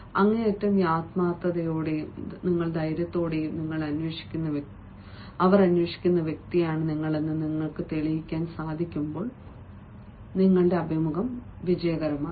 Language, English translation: Malayalam, that is only possible when, with utmost sincerity and with at most tare, you are going to prove that you are the person being looked for